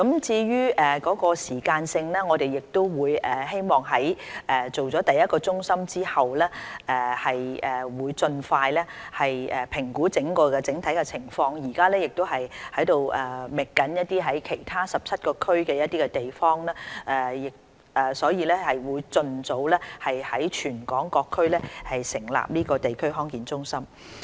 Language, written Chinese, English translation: Cantonese, 至於時間表，我們希望在開設第一個中心之後，盡快評估整體情況，目前亦正在其他17個地區覓尋地方，務求盡早在全港各區成立地區康健中心。, As for the timetable we hope to assess the overall condition expeditiously after the establishment of the first centre . We are now identifying sites in the other 17 districts in an effort to set up DHCs throughout the territory as soon as possible